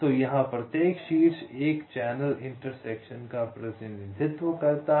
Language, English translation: Hindi, so here, ah, each vertex represents a channel intersection